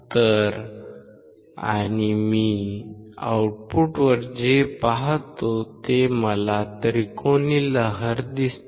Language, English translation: Marathi, So, and what I see at the output you see what I see I see a triangular wave